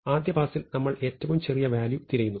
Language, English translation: Malayalam, So, in the first pass we look for the smallest value